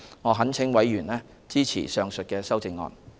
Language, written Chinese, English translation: Cantonese, 我懇請委員支持上述修正案。, I implore Members to support the said amendment